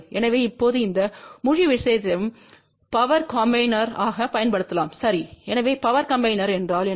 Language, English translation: Tamil, So, now this whole thing can be used as a power combiner ok , so what is a power combiner